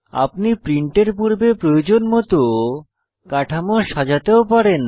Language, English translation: Bengali, You can also scale your structure as required before printing